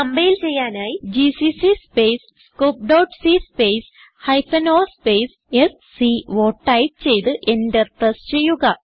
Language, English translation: Malayalam, To compile type, gcc space scope.c space hyphen o space sco and press enter